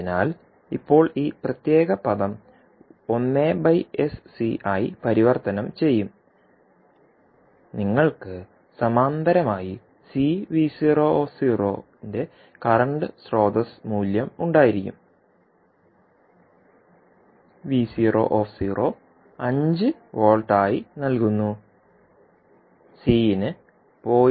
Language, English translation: Malayalam, So now this particular term will be converted into 1 upon SC and in parallel with you will have current source value of C V naught, v naught is given as 5 volt, C is given 0